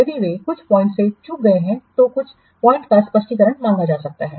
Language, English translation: Hindi, If they have missed some of the points then clarification might be short over certain points